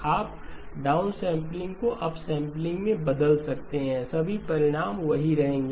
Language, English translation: Hindi, You can change the downsampling to upsampling, all the results will hold